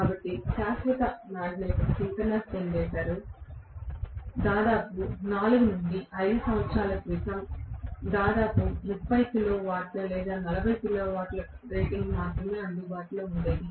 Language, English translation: Telugu, So Permanent Magnet Synchronous Generator until almost recently even before about 4 5 years ago there used to be available only for about 30 kilo watt or 40 kilo watt rating